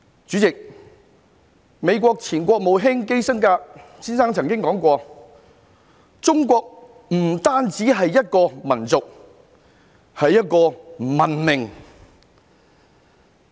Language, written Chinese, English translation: Cantonese, 主席，美國前國務卿基辛格先生曾經說過，中國不單是一個民族，更是一個文明。, President former US Secretary of State Mr KISSINGER has remarked that China is not only a nation but also a civilization